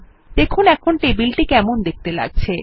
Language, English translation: Bengali, See how the Table looks now